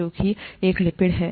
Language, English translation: Hindi, That is what a lipid is